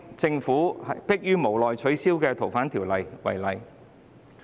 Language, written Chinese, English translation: Cantonese, 政府去年逼於無奈取消《逃犯條例》。, Last year the Government reluctantly withdrew the Fugitive Offenders Bill